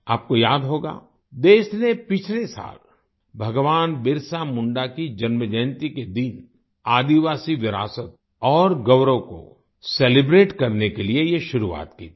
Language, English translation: Hindi, You will remember, the country started this last year to celebrate the tribal heritage and pride on the birth anniversary of Bhagwan Birsa Munda